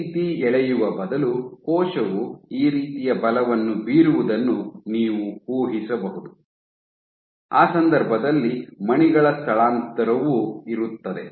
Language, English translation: Kannada, So, instead of pulling like this, you could very well imagine the cell exerting a force like this in that case there will be Z displacement of the beads as well